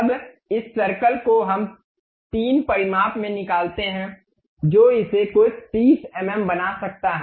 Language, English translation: Hindi, Now this circle we extrude it in 3 dimensions may be making it some 30 mm